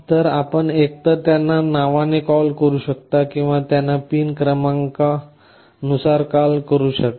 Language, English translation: Marathi, So, you can either call them by name or you can call them by the pin number